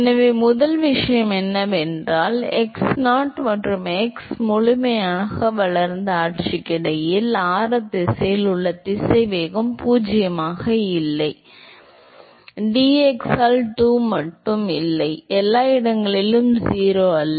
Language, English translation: Tamil, So, the first thing is that, between x0 and x fully developed regime, ok so, the velocity in the radial direction is not zero and not just that du by dx it also not 0 in all location